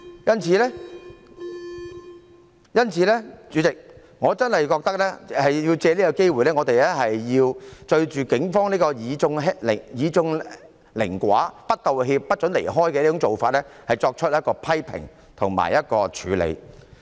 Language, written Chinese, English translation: Cantonese, 因此，主席，我真的覺得要藉此機會，對警方這種以眾凌寡、不道歉、不准人離開的做法，作出批評及處理。, Therefore President I really find it necessary to take this opportunity to criticize and address the practice of the Police to bully the minority when they are the majority refuse to apologize and forbid people to leave